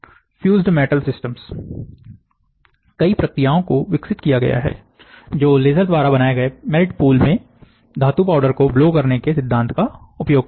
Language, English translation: Hindi, The fused metal deposition system; a number of processes have been developed that uses the principle of blowing metal powders into the melt pool created by the laser